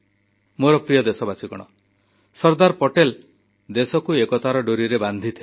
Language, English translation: Odia, My dear countrymen, Sardar Patel integrated the nation with the thread of unison